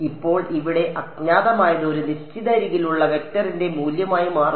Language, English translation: Malayalam, Now the unknown over here becomes the value of a vector along a certain edge ok